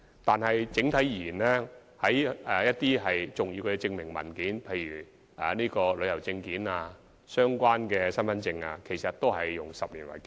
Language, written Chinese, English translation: Cantonese, 但是，整體而言，一些重要的證明文件的有效期，其實都是以10年為基準。, However on the whole the validity period of some important identification documents such as travel documents and relevant identity cards has all been set based on the 10 - year benchmark